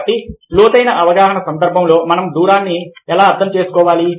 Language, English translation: Telugu, so, in the context of ah depth perception, how do we make sense of distance